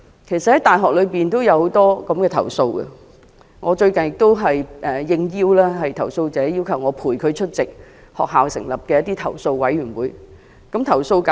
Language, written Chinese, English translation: Cantonese, 其實大學裏也有很多類似的投訴，我最近也應投訴者邀請，陪伴他出席由大學成立的投訴委員會的會議。, In fact there are many similar complaints in the university . Recently I was invited to accompany a complainant to attend the meetings of a complaints committee set up by the university